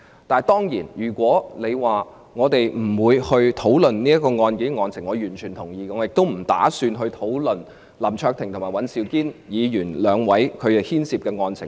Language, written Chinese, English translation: Cantonese, 當然，如果你說我們不應討論仍處於司法程序的案件，我完全同意；我既不打算也絕無意思討論林卓廷議員和尹兆堅議員所牽涉的案情。, I most certainly agree with you that we should not discuss a case still undergoing judicial proceedings . I have neither the plan nor the intention to discuss the details of the case concerning Mr LAM Cheuk - ting and Mr Andrew WAN